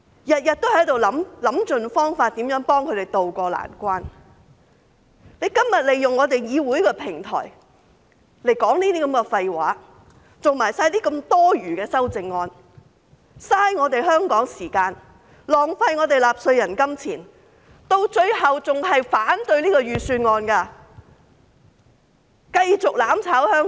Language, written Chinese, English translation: Cantonese, 我們每天都想盡方法幫這些市民渡過難關，而他們今天卻利用議會的平台來說這些廢話，提出這麼多餘的修正案，浪費香港的時間，浪費納稅人金錢，到最後還是反對預算案，繼續"攬炒"香港。, Every day we think hard for any possible ways to help these people overcome their hardships . Meanwhile they use the platform of the Council to talk nonsense today by proposing so many meaningless amendments wasting Hong Kongs time and taxpayers money . Eventually they will still vote against the Budget and continue to destroy Hong Kong